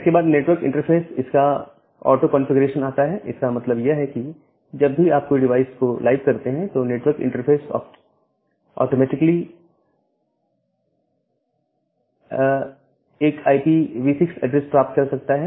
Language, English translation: Hindi, Then the feature of auto configuration of network interfaces; that means, whenever you make a device live the network interface can automatically get an IPv6 address